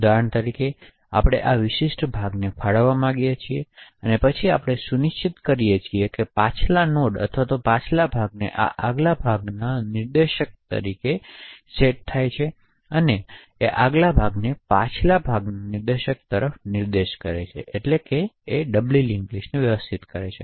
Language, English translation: Gujarati, So for example we want to allocate this particular chunk then we ensure that the previous node or the previous chunks forward pointer points to the next chunk forward pointer similarly the next chunks back pointer points to the previous chance pointer